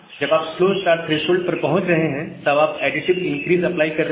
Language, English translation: Hindi, Once you are reaching the slow start threshold, you are applying additive increase